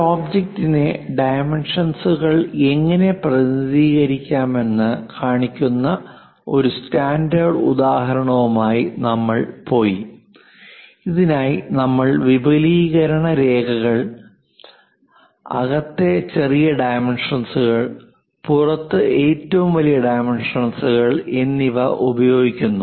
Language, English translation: Malayalam, We went with a standard example where we have shown for an object to represent dimensions, we use the extension lines, smallest dimensions inside and largest dimensions outside